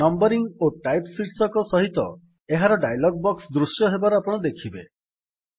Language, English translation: Odia, You see that a dialog box appears on the screen with headings named Numbering and Type